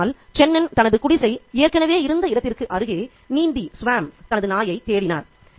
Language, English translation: Tamil, One day Chenon swam across to the spot where his hut had once stood, looking for his dog